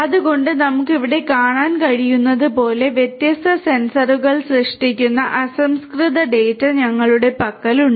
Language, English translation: Malayalam, So, as we can see here; we have the raw data that are generated by the different sensors